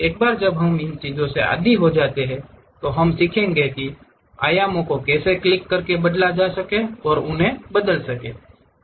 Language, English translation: Hindi, Once we are acclimatized we will learn how to change those dimensions by clicking it and change that